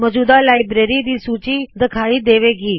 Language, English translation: Punjabi, A list of available libraries appears